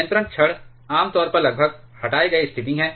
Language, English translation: Hindi, Control rods are generally you are almost removed condition